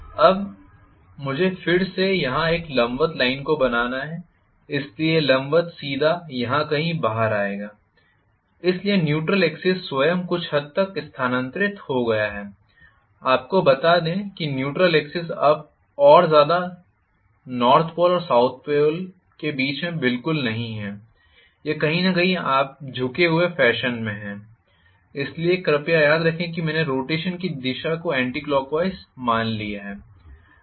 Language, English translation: Hindi, Now, I have to again drop a perpendicular here so this perpendicular will come out to be somewhere here, so the neutral axis itself is somewhat shifted, I am not going to have the neutral axis any more exactly in the middle of you know the north pole and the south pole, it is coming somewhere you know in a tilted fashion, so please remember I have taken the direction of rotation as anti clock wise